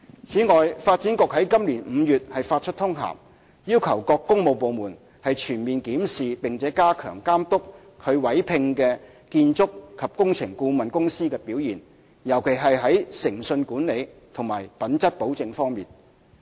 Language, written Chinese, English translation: Cantonese, 此外，發展局於今年5月發出通函，要求各工務部門全面檢視並加強監督其委聘的建築及工程顧問公司的表現，尤其是在誠信管理及品質保證方面。, In addition Development Bureau issued a memorandum in May this year requesting various works departments to review and step up the monitoring of the performance of the architectural and engineering consultants employed by them particularly from the integrity management and quality assurance perspectives